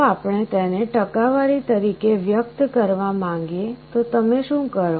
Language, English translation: Gujarati, If we want to express it as a percentage, what do you do